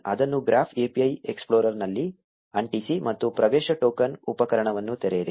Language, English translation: Kannada, Paste it in the Graph API explorer, and open the access token tool